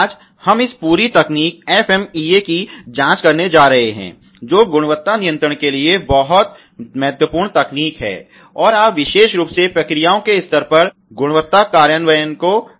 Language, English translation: Hindi, Today, we are going to investigate this whole technique FMEA, which is very important technique for quality control and you know quality implementation particularly at the processes level